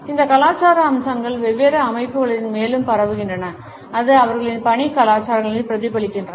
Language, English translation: Tamil, These cultural aspects percolate further into different organizations and it is reflected in their work culture